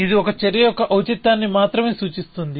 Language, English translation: Telugu, It only looks at the relevance of an action